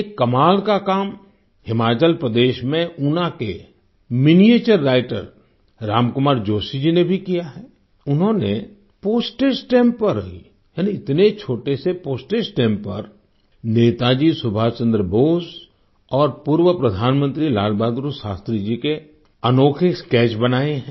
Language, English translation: Hindi, Miniature Writer Ram Kumar Joshi ji from Una, Himachal Pradesh too has done some remarkable work…on tiny postage stamps, he has drawn outstanding sketches of Netaji Subhash Chandra Bose and former Prime Minister Lal Bahadur Shastri